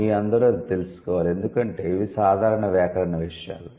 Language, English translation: Telugu, All of you should know that because these are simple grammar things